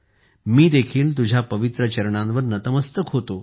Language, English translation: Marathi, I also offer my salutations at your holy feet